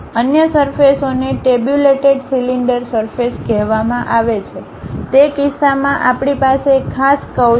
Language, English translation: Gujarati, Other surfaces are called tabulated cylinder surfaces; in that case we have one particular curve